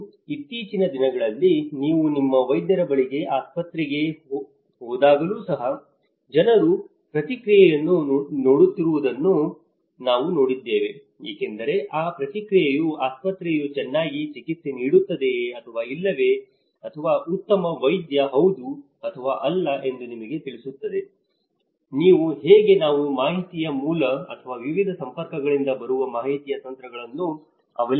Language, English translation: Kannada, And nowadays, I have seen even when you go to your doctor to hospital, people are also looking at the feedback because that feedback process was telling you whether it is a good doctor whether the hospital is treating well or not so, this is how you know we are relying on a source of informations or a tacts of information coming from different networks